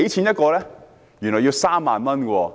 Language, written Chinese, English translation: Cantonese, 原來要3萬元。, It costs 30,000 each